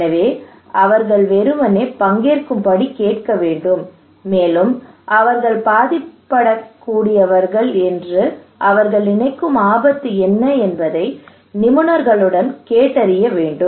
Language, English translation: Tamil, So we should simply ask them to participate to tell us along with the expert that what are the risk they think they are vulnerable to okay